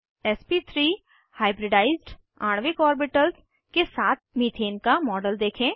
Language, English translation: Hindi, To display sp2 hybridized molecular orbitals, we will take ethene as an example